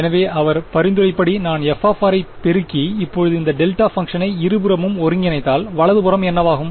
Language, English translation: Tamil, So, as he suggested the intuition is that if I multiply f of r and now integrate this delta function on both sides what will the right hand side become